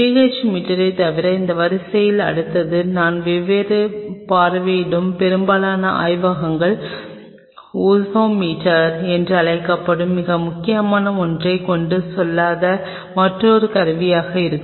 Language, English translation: Tamil, Next in that line apart from PH meter, will be another instrument which most of the labs I visit time to time do not carry with something which is very important that is called Osmometer